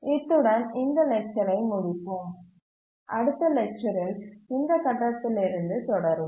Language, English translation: Tamil, With this we'll just conclude this lecture and we'll continue from this point in the next lecture